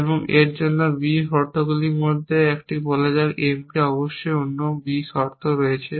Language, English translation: Bengali, And let us say one of the B condition for this is clear M of course there other B condition